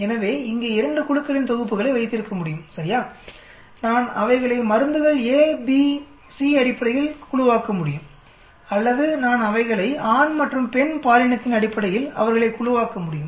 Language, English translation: Tamil, So we can have 2 sets of a groups here right, I can group them based on drugs a, b, c or I can group them based on the gender male and female